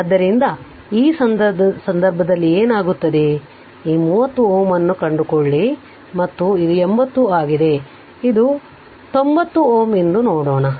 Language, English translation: Kannada, So, in that case what will happen that you find this 30 ohm and this is your ah 80 ah it is just hold on let me see this is 90 ohm right